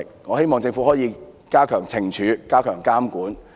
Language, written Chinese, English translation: Cantonese, 我希望政府可以加強懲處，並加強監管。, I hope the Government can impose heavier penalties and enhance supervision